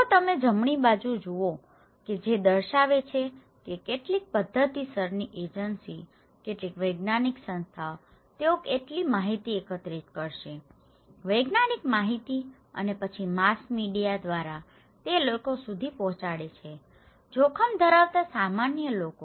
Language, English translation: Gujarati, If you look into the right hand side that is showing that some methodological agency, some scientific bodies, they will collect information; scientific informations and then through the mass media, they pass it to the people; common people who are at risk